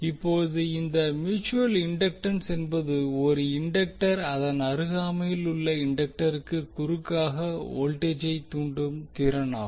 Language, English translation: Tamil, Now this mutual inductance is the ability of one inductor to induce voltage across a neighbouring inductor